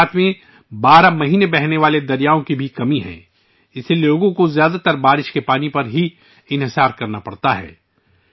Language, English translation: Urdu, There is also a lack of perennially flowing rivers in Gujarat, hence people have to depend mostly on rain water